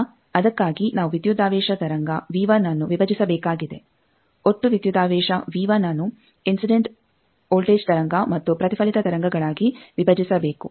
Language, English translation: Kannada, Now, for that we need to break the voltage wave V 1 the total voltage V 1 that should be broken into the incident voltage wave and reflected voltage wave